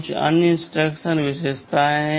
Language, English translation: Hindi, and Tthere are some other instruction features